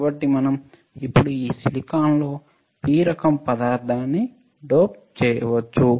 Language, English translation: Telugu, So, we can now dope a P type material in this silicon